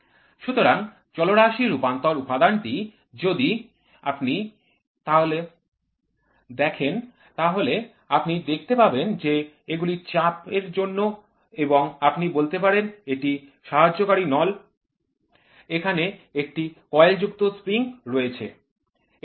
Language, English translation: Bengali, So, Variable Conversion Element if you see these are pressure inputs and you can say this is the supporting tube here is a coiled spring